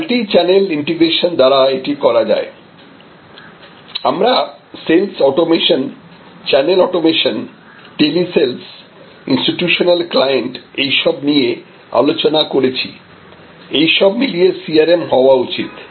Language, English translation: Bengali, This is executed by the multichannel integration, that we discussed sales automation, channel automation telesales institutional clients and so on and this is, this should be CRM